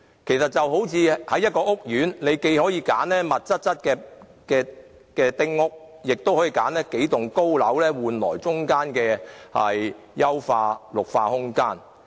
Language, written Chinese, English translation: Cantonese, 其實，這就如在一個屋苑中，你既可選擇密度較高的丁屋，亦可選擇數棟高樓，以換取中間的優化綠化空間。, It is like developing a housing estate . One can choose to build small houses or a few blocks of tall residential buildings so as to save space for putting enhanced green spaces in - between